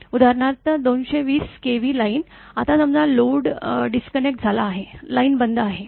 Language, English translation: Marathi, For example, says 220 kV line; now suppose load is disconnected, line is switched off